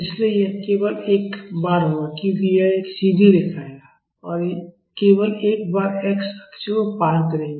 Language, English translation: Hindi, So, this will happen only once because it is a straight line and it will cross the x axis only once